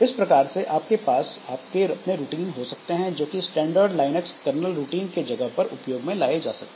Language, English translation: Hindi, So you can have your own routines that will act as different, that will act as a replacement for the standard Linux kernel routine